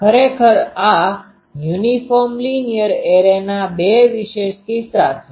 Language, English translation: Gujarati, And actually if there are two special cases of this uniform linear array